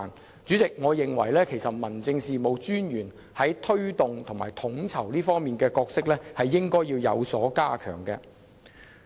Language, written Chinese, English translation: Cantonese, 代理主席，我認為民政事務專員在推動和統籌方面的角色應要有所加強。, Deputy President I hold that the role of Dictrict Officers in promotion and coordination should be strengthened